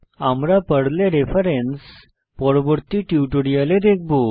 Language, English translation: Bengali, Note: Reference in Perl will be covered in subsequent tutorial